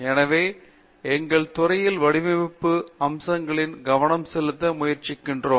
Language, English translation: Tamil, So, in our department we are being trying to focus on the design aspects